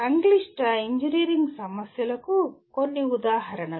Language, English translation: Telugu, Some examples of complex engineering problems